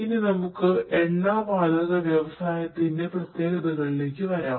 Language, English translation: Malayalam, Now, let us come to the specificities in terms of Oil and Gas Industry